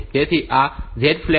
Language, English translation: Gujarati, So, this 0 flag is set